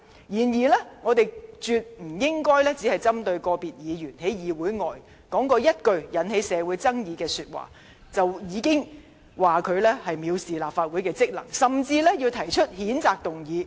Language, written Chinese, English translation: Cantonese, 不過，我們絕不應只針對個別議員在議會外所說的一句引起社會爭議的話，而批評他藐視立法會的職能，甚至提出譴責議案。, But we absolutely should not criticize an individual Member for contempt of Legislative Councils functions and duties and even propose a censure motion solely because he has uttered certain words outside the legislature which have aroused controversy in the community